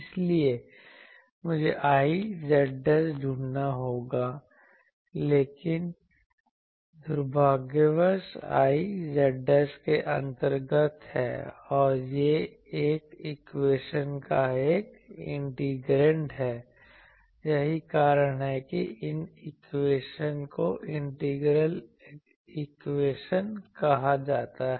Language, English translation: Hindi, So, I will have to find I z dashed, but unfortunately I z dashed is under or it is an integrand of this equation that is why these equations are called integral equations